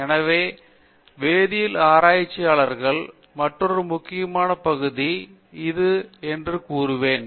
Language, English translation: Tamil, So this is another important area of research in chemistry, I will say general science